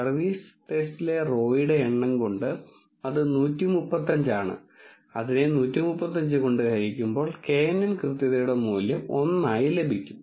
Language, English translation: Malayalam, And when you divide that with the number of rows in the service test that is 135 by 135, you will get the value of knn accuracy as 1